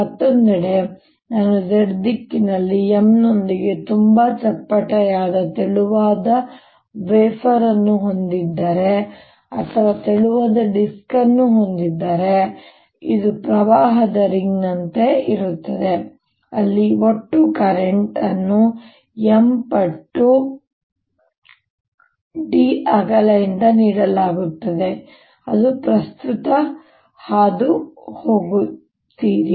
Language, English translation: Kannada, on the other hand, if i have a very flat, thin wafer like or thin disc like thing, with m in z direction, this will be like a ring of current where the total current will be given by m times this width d